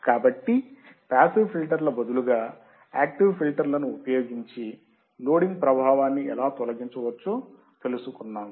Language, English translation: Telugu, So, how loading effect can be removed if we use active filter over passive filters, you will see in the experiment part as well